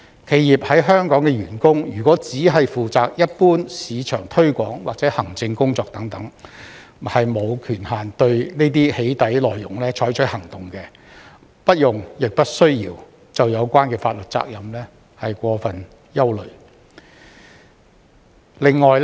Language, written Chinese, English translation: Cantonese, 企業在香港的員工如果只負責一般市場推廣或行政工作等，沒有權限對這些"起底"內容採取行動，不用亦不需要就有關法律責任過分憂慮。, Employees of companies in Hong Kong who are only responsible for general marketing or administrative work do not have the authority to take action with respect to such doxxing content and do not have to or need not be overly concerned about the legal liability